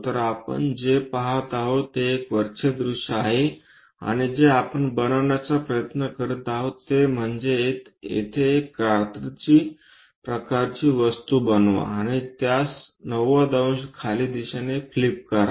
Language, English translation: Marathi, So, the view what we are getting is top view and what we are trying to construct is, make a scissoring kind of thing here and flip it in the 90 degrees downward direction